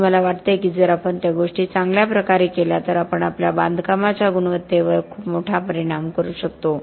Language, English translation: Marathi, And I think if we just do those things well, we would make a huge impact on the quality of our construction